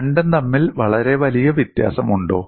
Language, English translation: Malayalam, Is there very great difference between the two